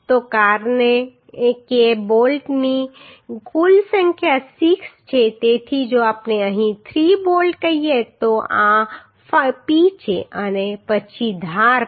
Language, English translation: Gujarati, So because total number of bolts are 6 right so if we consider say 3 bolts here then this is P and then edge then edge